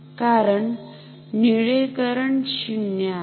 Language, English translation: Marathi, So, the blue current is just 0